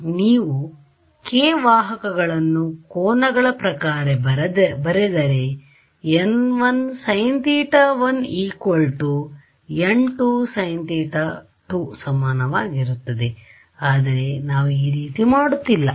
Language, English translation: Kannada, Once you write your these k vectors in terms of angles you will get your n 1 sin theta equal to n 2 sin theta all of that comes from here, but we are not going that route